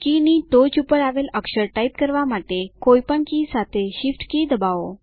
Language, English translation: Gujarati, Press the Shift key with any other key to type a character given at the top of the key